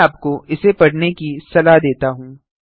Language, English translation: Hindi, I advise you to read this thoroughly